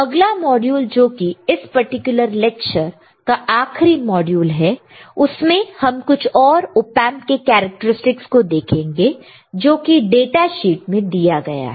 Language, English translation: Hindi, In the next module which is the last module of this particular lecture, we will see further few further characteristics of Op Amp there are already mentioned in the data sheet all right